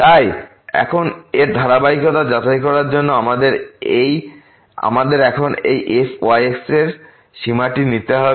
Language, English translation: Bengali, So now for this to check the continuity of this, what we have to now take this limit of this